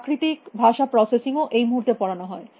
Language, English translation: Bengali, Natural language processing as well is being offered at this moment